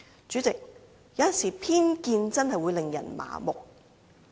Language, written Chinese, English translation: Cantonese, 主席，有時候偏見確實會使人盲目。, President people are sometimes blinded by prejudice